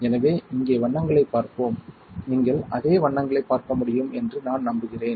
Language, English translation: Tamil, So, let us see the colours here, if I am, I am sure that you can see the same colours